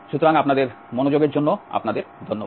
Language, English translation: Bengali, So, thank you for your attention